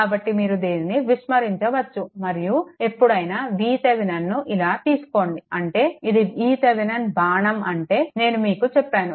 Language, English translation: Telugu, So, you can ignore this and whenever we take V Thevenin your like this; that means, that means this is your V Thevenin arrow means I told you plus